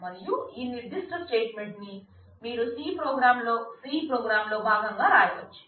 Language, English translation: Telugu, And this particular statement you can write as a part of the C program